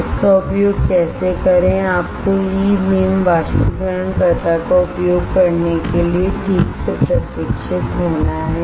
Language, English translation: Hindi, How to use it you have to get a properly trained to use E beam evaporator